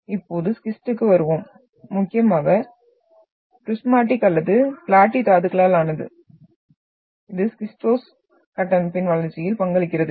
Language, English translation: Tamil, Now coming to the schist, mainly composed of prismatic or platy minerals which contributes in development of the schistose structure